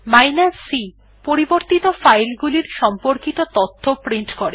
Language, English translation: Bengali, c#160: Print information about files that are changed